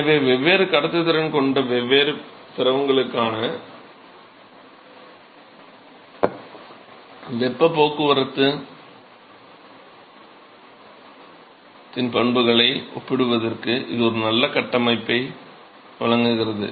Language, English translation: Tamil, So, this provides a very nice framework for comparing the properties of heat transport for different fluid which will have different conductivity